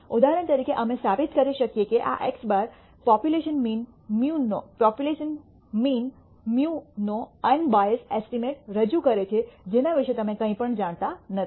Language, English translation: Gujarati, For example, we can prove that this x bar represents an unbiased estimate of the population mean mu which you do not know anything about